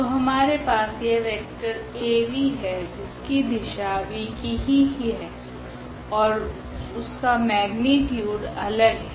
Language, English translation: Hindi, So, we have this vector Av; what is interesting that this Av and v they have the same direction and their magnitudes are different